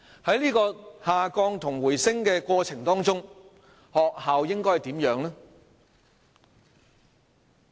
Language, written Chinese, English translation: Cantonese, 在下降和回升的過程中，學校應該扮演怎樣的角色？, During the fall and rebound what role should the schools play?